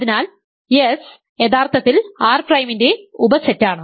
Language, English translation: Malayalam, So, S is actually a subset of R prime